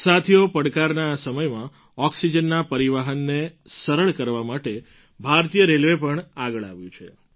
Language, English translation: Gujarati, Friends, at this very moment of challenge, to facilitate transportation of oxygen, Indian Railway too has stepped forward